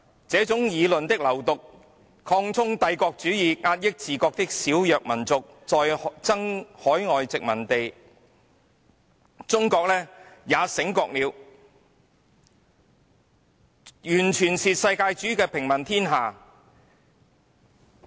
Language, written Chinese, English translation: Cantonese, 這種議論的流毒，擴充帝國主義，壓抑自國的小弱民族，在爭海外殖民地......完全是世界主義的平民天下......, The sins of this argument are that it promotes the expansion of imperialism and suppression of the smaller weaker communities in the country while vying for overseas colonies a world of civilians under cosmopolitanism How about China?